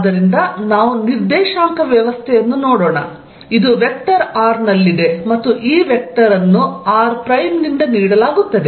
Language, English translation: Kannada, So, let us make the co ordinate system, this is at vector r and this vector is given by r prime, the distance from here to here is this vector is r minus r prime